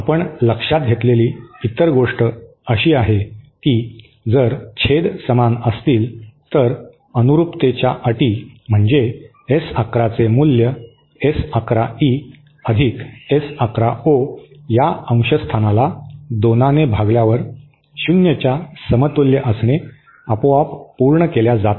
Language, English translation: Marathi, Other thing that we note is that condition if the denominators are equal, then the conditions of matching, that is S 11 equal to S11 E + S 11 O whole upon 2 equal to 0 is automatically satisfied